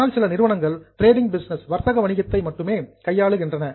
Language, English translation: Tamil, Some of the companies only deal trading business